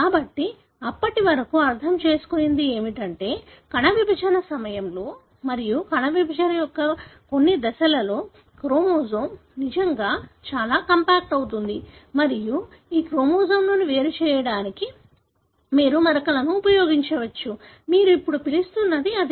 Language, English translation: Telugu, So, what has been understood till then is that there are stages during the cell division and at certain stages of cell division, the chromosome really becomes very compact and you can use stains to distinguish these chromosomes; that is what you call now